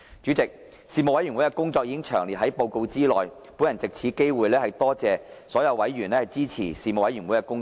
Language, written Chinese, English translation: Cantonese, 主席，事務委員會的工作已詳列於報告內，本人藉此機會多謝所有委員支持事務委員會的工作。, President the work of the Panel has been set out in detail in the report of the Panel . I would like to take this chance to thank the support from members for the Panels work